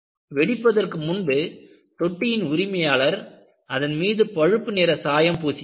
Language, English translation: Tamil, Before the explosion, the tank's owner painted it brown